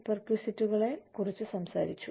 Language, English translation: Malayalam, We talked about, perquisites